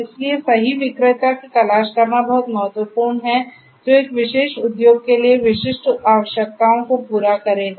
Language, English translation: Hindi, So, it is very important to look for the correct vendor that will cater to the specific requirements that a particular industry has